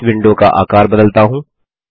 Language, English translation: Hindi, Let me resize this window